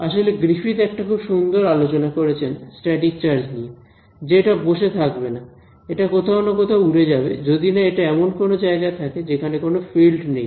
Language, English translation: Bengali, In fact, Griffiths has a very nice discussion about it a static charge is not going to sit there it will fly off somewhere over the other, unless it is in the place where there is no fields whatsoever sitting there forever